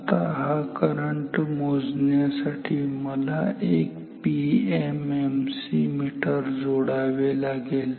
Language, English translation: Marathi, Now, so to measure this current I have to insert a PMMC meter